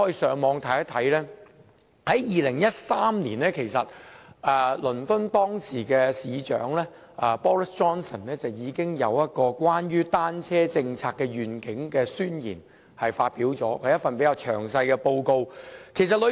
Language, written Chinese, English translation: Cantonese, 在2013年，倫敦當時的市長 Boris JOHNSON 已就單車政策願景發表了一份宣言，是一份比較詳細的報告。, In 2013 the then incumbent Mayor of London Boris JOHNSON published a vision statement on a bicycle policy which was a relatively detailed report